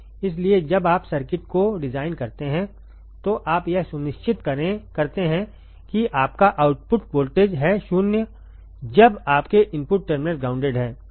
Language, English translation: Hindi, So, in when you design the circuit you make sure that you are you are output voltage is 0 when your input terminals are grounded